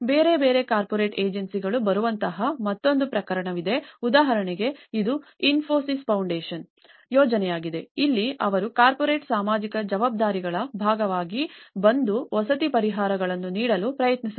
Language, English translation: Kannada, There is another case, like where different corporate agencies come like for example this was a project by Infosys Foundation where, as a part of their corporate social responsibilities, they try to come and deliver the housing solutions